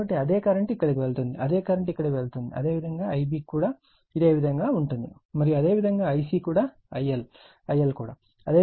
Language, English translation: Telugu, So, same current is going here, same current is going here, similarly for the similarly for I b also and similarly for I c also I L also